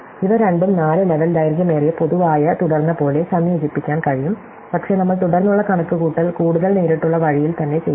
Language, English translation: Malayalam, So, I can combine these two like a four level longest common subsequence, but we will do the subsequence calculation in a much more direct way there itself